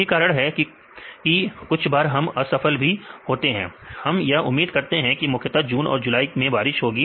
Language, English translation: Hindi, This is the reason sometimes it fails; we expect mainly June and July we will get rain